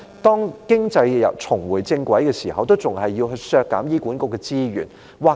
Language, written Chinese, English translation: Cantonese, 當經濟重回正軌時，為何政府仍然要削減醫管局的資源？, When the economy was back onto the right track why did the Government still slash the resources of HA?